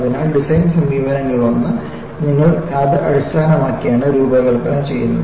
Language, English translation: Malayalam, So, one of the designed approaches, is you do it design based on strength